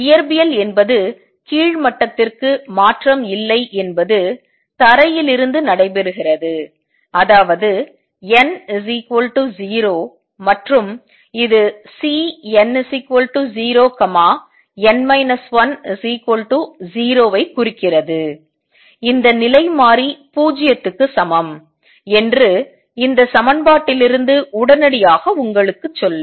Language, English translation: Tamil, Physics is no transition to lower level takes place from the ground state that is n equal to 0 and this implies that C n equal to 0 n minus 1 should be equal to 0, which immediately tells you from this equation that constant is equal to 0